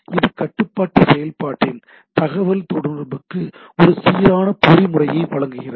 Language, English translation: Tamil, This provides a uniform mechanism for communication of control function